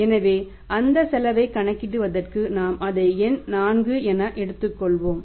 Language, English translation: Tamil, So, for calculating that cost we take it as number 4